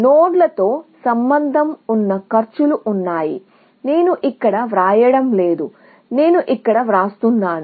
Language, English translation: Telugu, So, there are these costs associated with nodes, which I am not writing there; which I am writing here